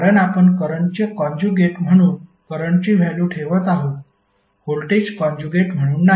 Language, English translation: Marathi, Because you’re putting value of current as a current conjugate not be voltage as a conjugate